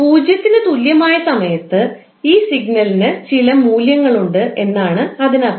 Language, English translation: Malayalam, It means that at time t is equal to 0, this signal has some value